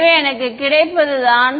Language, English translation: Tamil, So, what I get is